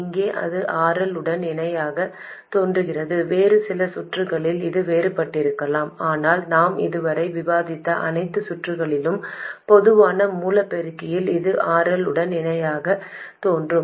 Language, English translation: Tamil, Here it appears in parallel with RL, in some other circuits it may be different but in all the circuits we have discussed so far in the common source amplifier it appears in parallel with RL